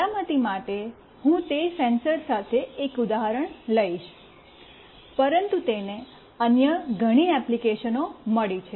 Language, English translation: Gujarati, For security I will be taking one example with that sensor, but it has got many other applications